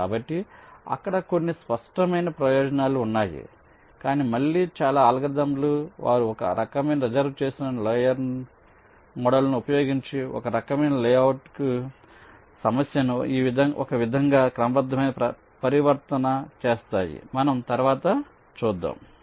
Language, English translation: Telugu, but again, most of the algorithms they do some kind of a systematic transformation of the problem to a, some kind of a layout that uses some kind of a reserved layer model